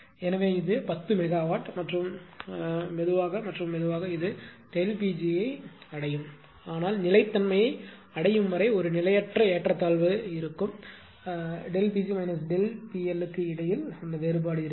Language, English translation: Tamil, So, but this has this is already ten megawatt and slowly and slowly it is catching up the delta P g will catch to this one, but unless or until steady steady reach there is a transient imbalance because, difference will be there between delta P g and minus delta P L